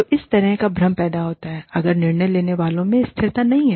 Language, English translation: Hindi, So, this kind of confusion arises, if consistency is not there, among decision makers